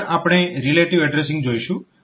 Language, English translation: Gujarati, Next we will look into relative addressing